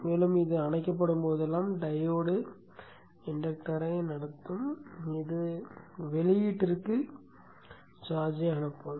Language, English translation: Tamil, And whenever this is off, the pole, the diode is conducting, the inductor will charge to the, which will send the charge to the output